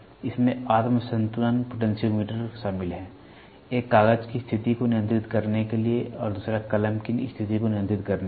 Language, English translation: Hindi, It consist of self balancing potentiometer; one to control the position of the paper and the other to control the position of the pen